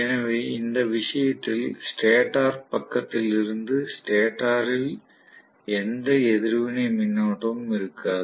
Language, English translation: Tamil, So in which case there will not be any reactive current on the stator side from the stator side